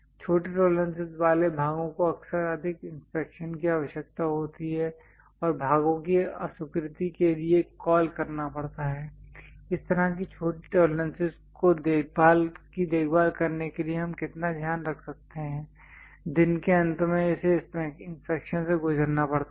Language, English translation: Hindi, Parts with small tolerances often requires greater inspection and call for rejection of parts, how much care we might be going to take to care such kind of small tolerances, end of the day it has to go through inspection